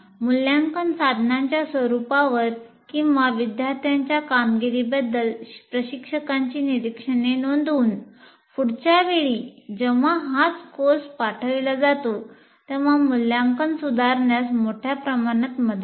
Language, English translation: Marathi, And by recording instructors observations on the nature of assessment instruments are students' performance greatly help in improving the assessment when the same course is offered next time